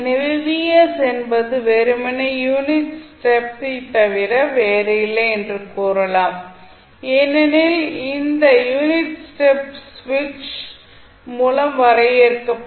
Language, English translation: Tamil, So, you can simply say that vs is nothing but the unit step because this unit step is being defined by the switch